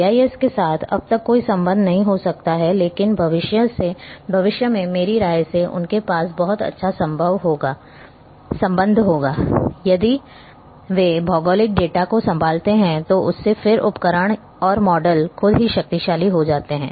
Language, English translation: Hindi, There may not be any linkage so far with GIS, but in future in my opinion they will have very good linkage if they handles the geographic data and then the tool itself the model itself becomes powerful